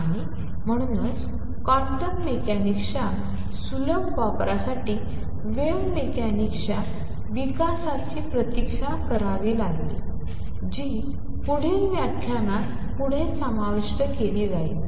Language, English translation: Marathi, And therefore, the easy application of quantum mechanics had to wait the development of wave mechanics that will be covered in the next lecture onwards